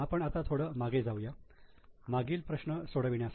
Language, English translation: Marathi, Now let us go back to the problem solving